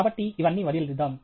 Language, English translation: Telugu, So, let us leave all this